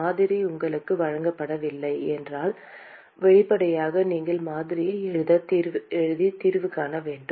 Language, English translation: Tamil, If the model is not given to you, obviously, you have to write the model and find the solution